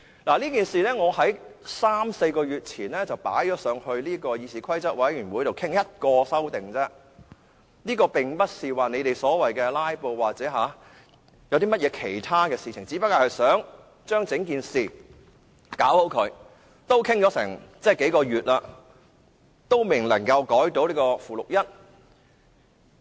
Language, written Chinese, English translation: Cantonese, 我三四個月前向議事規則委員會提出討論這事，我只是提出一項修訂建議，並不是他們說的所謂"拉布"等，只不過想做好整件事，但討論了差不多數個月，仍然未能修改附表1。, I requested to discuss this matter in the Committee on Rules of Procedure three or four months ago . I only put forward a proposed amendment and was not intended to filibuster as they claimed . I only wanted to resolve this matter